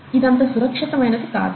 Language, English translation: Telugu, It's not very safe